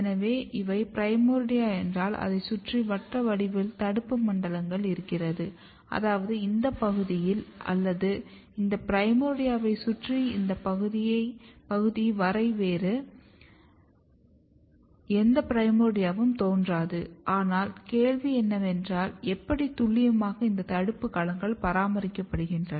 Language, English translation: Tamil, So, if you look if these are the primordia, the circles basically denotes the inhibitory zones, which means that in this region or around this primordia up to this region there is no other primordia will originates, but question is still here that how and so precisely this inhibitory domains are maintained